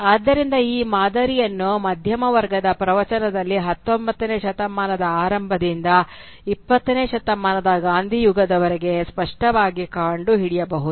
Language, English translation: Kannada, So this pattern can clearly be traced in the discourse of the middle class from as far back as the early 19th century down to the Gandhian era of the 20th century